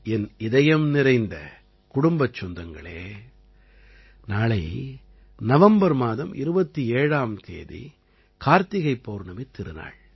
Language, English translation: Tamil, My family members, tomorrow the 27th of November, is the festival of KartikPurnima